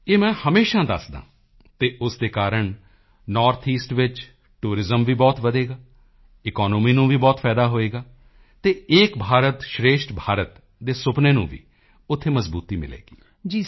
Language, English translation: Punjabi, I always tell this fact and because of this I hope Tourism will also increase a lot in the North East; the economy will also benefit a lot and the dream of 'Ek bharat